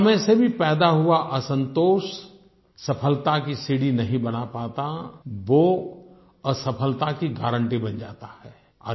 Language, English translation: Hindi, The dissatisfaction arising out of success never becomes a ladder to success; it guarantees failure